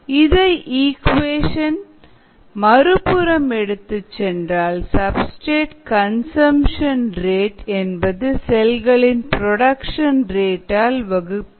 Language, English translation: Tamil, so the rate of substrate consumption is nothing but the rate of cell production divided by y xs